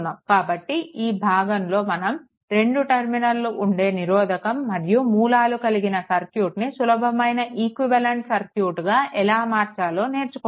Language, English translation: Telugu, So, in this section, we will learn how to replace two terminal circuit containing resistances and sources by simply equivalent circuit that you have learned